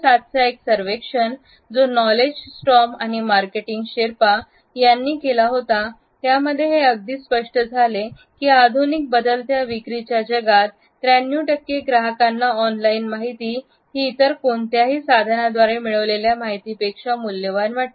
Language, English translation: Marathi, A 2007 survey, which was conducted by Knowledge Storm and Marketing Sherpa, acknowledged the changing sales world and it found that 93 percent of the customers felt that online information was almost as valuable as information which they receive from any other source